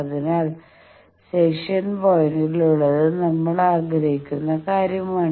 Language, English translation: Malayalam, So this in the section point is our desired thing